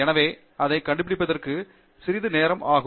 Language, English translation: Tamil, So, that itself takes some while for you to figure that out